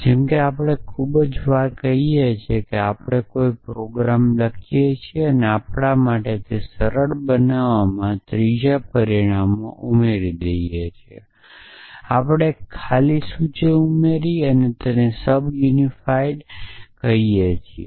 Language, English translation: Gujarati, So, like we do in very very often we write a program; we add a third parameter to make like simpler for us we added an empty list and call it sub unify sub unify what this is going to be is the substitution